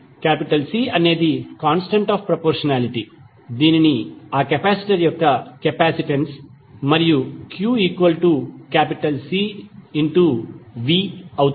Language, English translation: Telugu, C is the constant of proportionality which is known as capacitance of that capacitor